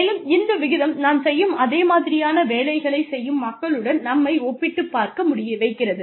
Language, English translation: Tamil, And, this ratio compares with people, who have the same kind of work, that we do